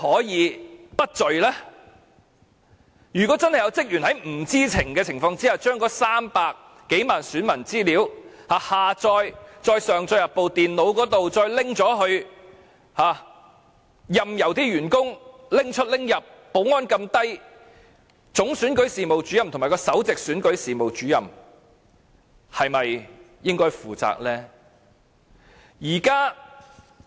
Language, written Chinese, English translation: Cantonese, 如果真有職員在不知情的情況下，將300多萬名選民的資料下載，再上載至電腦，然後又任由員工把資料帶出帶入，保安這麼鬆懈，總選舉事務主任和首席選舉事務主任是否應該負責呢？, If the security measures were so lax that some staff members could download the registration information of more than 3 million voters for reasons unknown then upload the data to some computers and bring the data everywhere should the Chief Electoral Officer and the Principal Electoral Officer be held accountable?